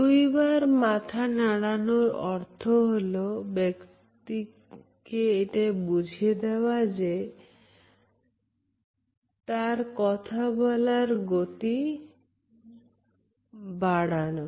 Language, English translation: Bengali, A double nod tells the speaker to increase the speed in tempo of this speech